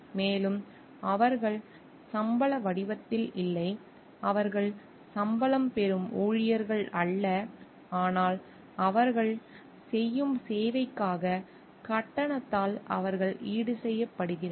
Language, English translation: Tamil, And they are not in the form of salaries, they are not salaried employees, but they compensated by the fees for the service that they render